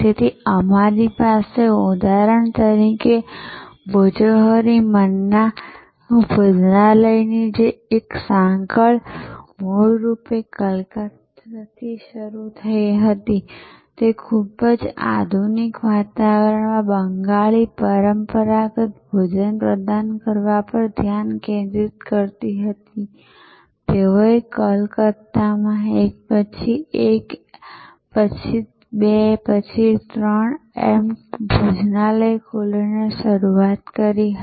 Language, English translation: Gujarati, So, we have for example, Bhojohori Manna a chain of restaurant started originally in Calcutta, focused on offering Bengali traditional cuisine in a very modern ambiance, they started by opening one then two then three restaurant in Calcutta, but they are now spread over many cities in India